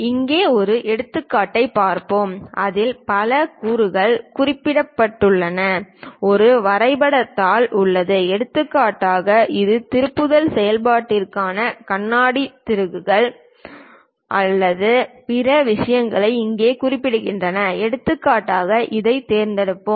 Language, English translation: Tamil, Let us look at an example here we have a drawing sheet on which there are many components mentioned for example, its a for a turning operation the chalk screws and other things here is represented for example, let us pick this one